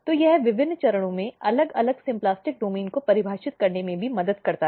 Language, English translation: Hindi, So, this also helps in defining different symplastic domain at different stages